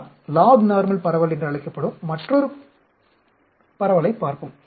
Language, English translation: Tamil, Let us look at another distribution that is called Lognormal distribution